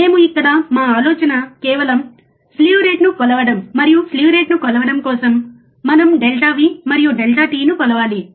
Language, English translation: Telugu, We here our idea is just to measure the slew rate, and for measuring the slew rate, what we have to measure delta V and delta t